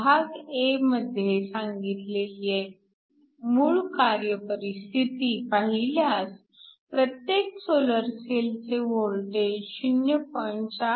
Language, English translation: Marathi, So, if you look at the initial operating condition that was specified in part a, the voltage for each solar cell is 0